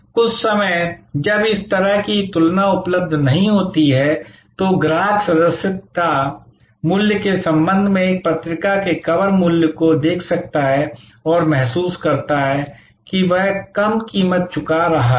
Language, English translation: Hindi, Some times when this sort of comparison is not available, the customer may look at the cover price of a magazine with respect to the subscription price and feel that, he is paying a lower price